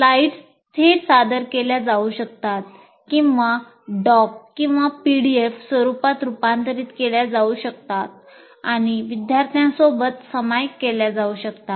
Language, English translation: Marathi, The slides presented can also be converted into a doc or a PDF format and shared with the computer, with the students